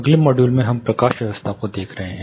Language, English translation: Hindi, Further, modules there is in the next module we will be looking at lighting